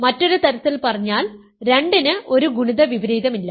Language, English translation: Malayalam, So, in other words 2 does not have a multiplicative inverse